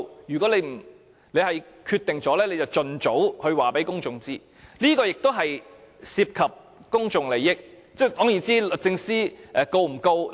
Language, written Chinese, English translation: Cantonese, 如果政府已有決定，便請盡早告訴公眾，因為這亦涉及公眾利益，究竟會否控告律政司司長呢？, If the Government already has a decision please tell the public as soon as possible because this also involves public interest . Will the Government sue the Secretary for Justice?